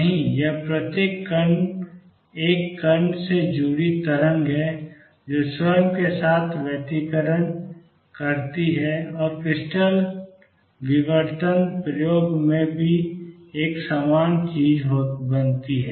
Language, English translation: Hindi, No, it is the wave associated with each particle single particle that interference with itself and creates a pattern same thing in the crystal diffraction experiment also